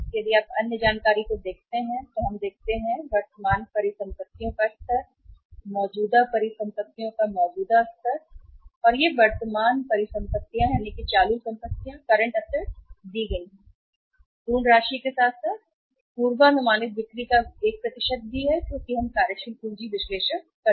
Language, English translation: Hindi, If you look at the other information we are given the level of current assets, existing level of current assets and these current assets are given in the absolute amount as well as, as a percentage of the forecasted sales also because we are making a working capital analysis